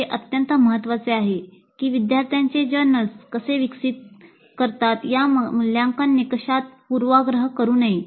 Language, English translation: Marathi, So, it is very, very important that the assessment criteria should not bias the way students develop their journals